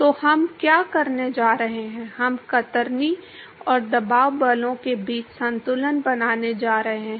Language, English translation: Hindi, So, what we going to do is we going to make a balance between the shear and pressure forces